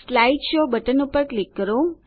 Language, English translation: Gujarati, Click on the Slide Show button